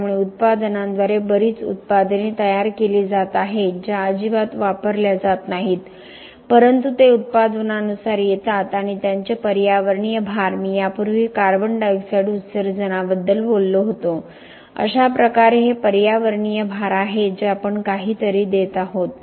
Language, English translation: Marathi, So there are lot of products being generated by products things that are not going to be used at all but it comes as a by product and their environmental loads earlier I talked about carbon dioxide emissions thus this are environmental loads that we are giving something we are loading the environment which something that could hurt it in the future